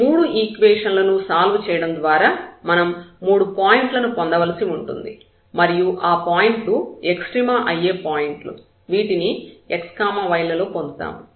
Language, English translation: Telugu, There are 3 points we have to we have to get by solving these 3 equations and that those points will be the points of extrema in terms of the x y